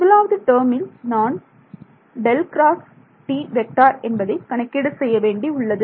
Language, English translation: Tamil, For the first term I need to calculate curl of T ok